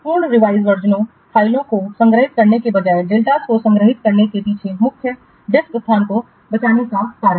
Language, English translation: Hindi, The main reason behind storing the deltas rather than storing the full revision files is to save the disk space